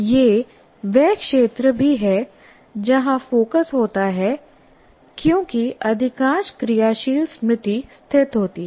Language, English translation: Hindi, It is also the area where focus occurs because most of the working memory is located here